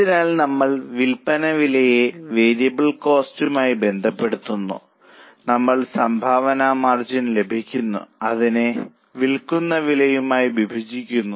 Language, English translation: Malayalam, So, we relate the sales price to variable cost, we get the contribution margin and we divide it by selling price